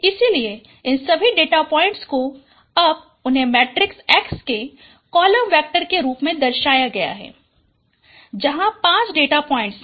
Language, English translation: Hindi, So all these data points now they are represented as a column vector of a matrix X